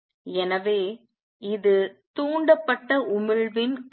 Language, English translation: Tamil, So, this is the concept of stimulated emission